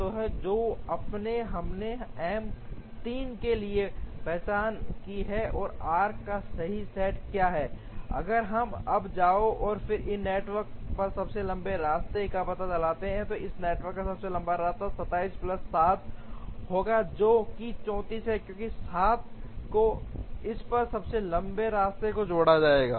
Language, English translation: Hindi, So, now, we have identified for M 3 what is the correct set of arcs, if we now go and find out the longest path on this network, the longest path on this network would be 27 plus 7 which is 34, because the 7 will be added to the longest path on this